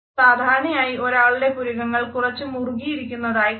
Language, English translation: Malayalam, Usually, someone’s eyebrows are tensed up a bit